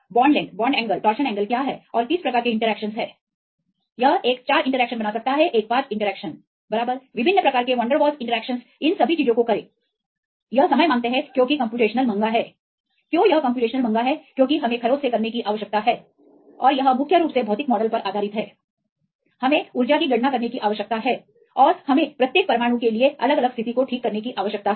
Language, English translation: Hindi, What are the bond length, bond angle, torsion angle and what types of interactions it can make one four interactions one five interactions right different types of van der waals interactions right do all these things it is time demanding because computational expensive why it is computational expensive because we need to do from the scratch and is mainly based on the physical models right we need to calculate the energy and we need to fix the different positions for each atom right there are we have to do lot of conformational sampling